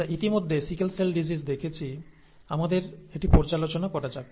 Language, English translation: Bengali, We have already seen the sickle cell disease; let us review this